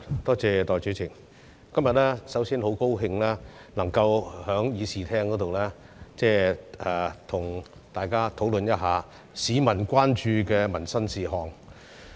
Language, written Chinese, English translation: Cantonese, 代理主席，首先，今天很高興能夠在議事廳，跟大家討論市民關注的民生事項。, Deputy President first of all I am very glad that I can discuss livelihood issues of public concern with Members in the Chamber today